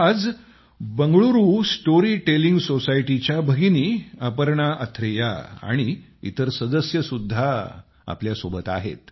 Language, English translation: Marathi, Today, we are joined by our sister Aparna Athare and other members of the Bengaluru Storytelling Society